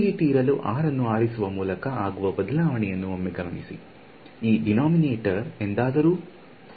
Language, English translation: Kannada, So, notice another nice thing that happened by choosing r to be this way, this denominator will it ever go to 0